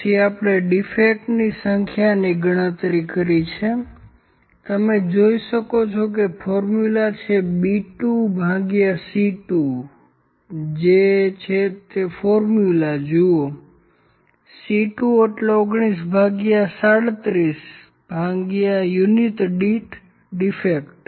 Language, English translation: Gujarati, So, we have calculated the number of defects, number of defects is you can see the formula it is C 2 by B 2; C 2 means 19 by 37 to defects per unit